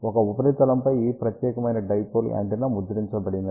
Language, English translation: Telugu, Also since this particular dipole antenna is printed on a substrate